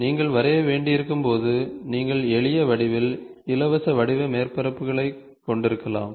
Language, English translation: Tamil, When you are supposed to draw, you can have simple geometries, free form surfaces